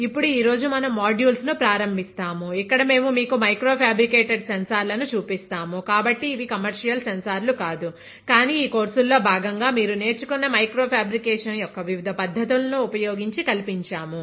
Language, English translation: Telugu, Now today where we start as cities of modules, where we show you micro fabricated sensors, so these are not commercial sensors but we have fabricated in house using the different techniques of micro fabrication that you have learned as part of this course